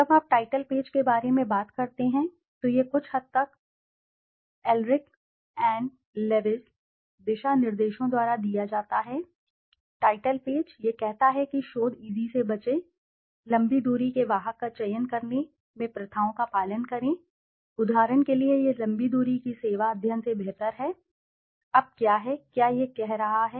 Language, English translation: Hindi, Okay, when you talk about the title page, this is somewhat given by Elrick & Lavidge guidelines, the title page, it says avoid research eze, practices followed in selecting long distance carriers, for example it is better than long distance service study, now what is it saying